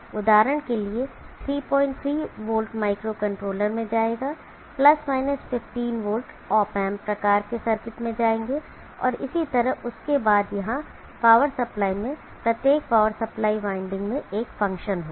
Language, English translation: Hindi, 3v will go to microcontroller, the + 15v will go to the op amps type of circuits and like that then power supply here each power supply winding will have a function